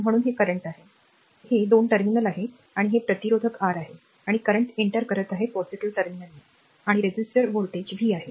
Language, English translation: Marathi, So, that is why this is the current these a 2 terminal, and this is the resistor R and current is entering into the positive terminal across the resistor voltage is v